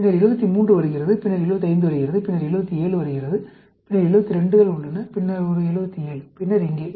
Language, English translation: Tamil, Then comes 73; then comes 75; then comes 77; there are two 77s; here one 77, then here